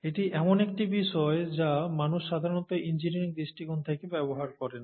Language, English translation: Bengali, This is something that people normally used from an engineering perspective